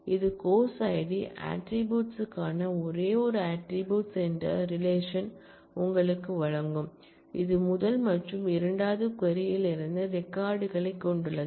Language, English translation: Tamil, So, this will simply give you a relation of the course id attribute as the only attribute, which has records from the first as well as the second query